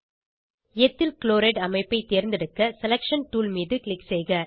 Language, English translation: Tamil, Click on Selection tool to select Ethyl chloride structure